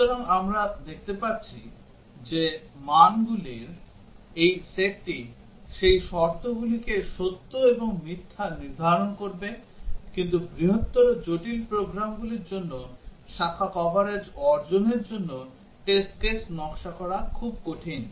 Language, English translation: Bengali, So, we can see that this set of values will set both those conditions true and false, but for larger complicated programs, it is very hard to design test cases to achieve branch coverage